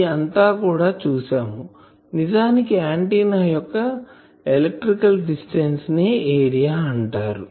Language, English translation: Telugu, And this thing we have also seen that actually the electrical distance of the antenna determines it is area